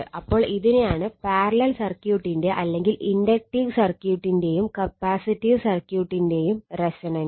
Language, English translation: Malayalam, So, this is your what you call that your resonance of your parallel circuit simple inductive and capacitive circuit